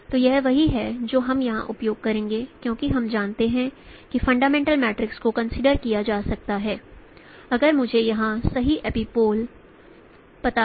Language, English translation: Hindi, So this is what we will be using here in this case because we know that fundamental matrix this can be considered if I know the right epipole here